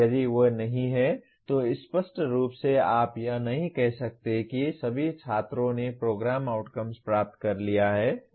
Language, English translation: Hindi, If they are not then obviously you cannot say that all students have attained the program outcomes